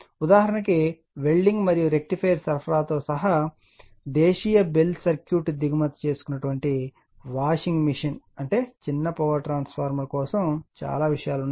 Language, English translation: Telugu, Example, including welding and rectifier supply rectifiersupplies then domestic bell circuit imported washing machine it is I mean so many many things are there for small power transformer